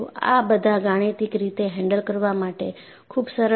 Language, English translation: Gujarati, These are all easy to handle mathematically